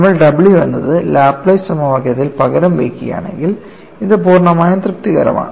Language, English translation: Malayalam, And if you substitute it in the Laplace equation, this completely satisfies, if you substitute the what is w